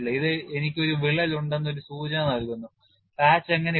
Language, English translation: Malayalam, This gives a indication I have a crack, how the patch is put